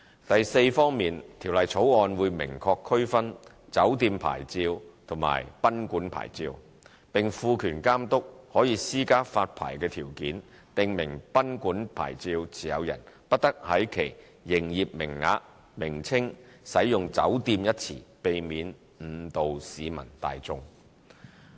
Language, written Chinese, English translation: Cantonese, 第四方面，《條例草案》會明確區分"酒店牌照"和"賓館牌照"，並賦權監督可施加發牌條件，訂明"賓館牌照"持有人不得在其營業名稱使用"酒店"一詞，避免誤導市民大眾。, As to the fourth aspect the Bill provides for a clear differentiation between a hotel licence and a guesthouse licence . The Bill also empowers the Authority to impose a licence condition on a guesthouse licence to prohibit the use of the word hotel in the business name in order to avoid misleading the public